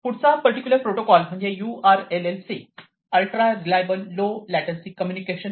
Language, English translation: Marathi, Next comes this particular protocol URLLC which is Ultra reliable Low Latency Communication